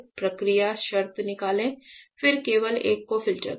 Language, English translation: Hindi, Remove process condition then only filter one